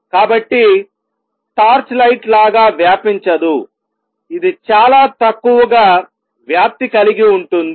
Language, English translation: Telugu, So, does not spread like a torch light, it is spread very little